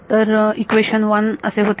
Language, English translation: Marathi, So, equation 1 it becomes